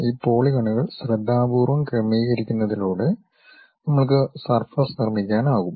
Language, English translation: Malayalam, By carefully adjusting these polygons, we will be in a position to construct surface